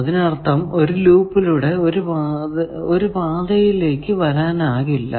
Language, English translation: Malayalam, That means, through a loop, you cannot come to a new one